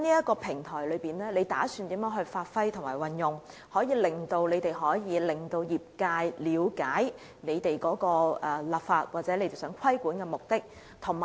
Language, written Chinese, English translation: Cantonese, 局長打算如何發揮及運用這個平台，令業界了解政府的立法或規管的目的呢？, How is the Secretary going to make best use of this platform to facilitate the industry in understanding of the legislative or regulatory intent of the Government?